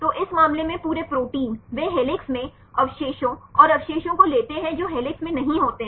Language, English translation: Hindi, So, in this case the whole protein they take the residues in helix and the residues which are not in helix